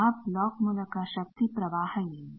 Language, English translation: Kannada, What is the power flow through that block